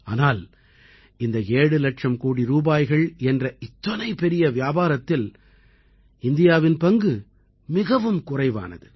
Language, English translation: Tamil, Such a big business of 7 lakh crore rupees but, India's share is very little in this